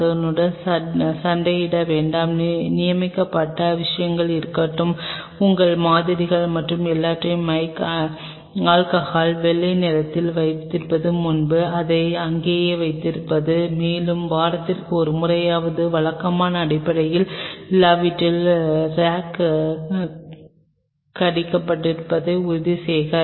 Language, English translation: Tamil, Do not fight over it let there be designated things and before you put your samples and everything just with the mile alcohol white the stuff keeps it there and ensure that rack is being bite out at least on if not regular basis at least once in a week